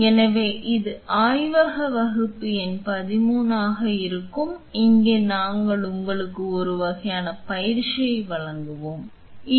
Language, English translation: Tamil, So, this will be lab class number 13 and here we will be give you a kind of a hands on training of course, you are not here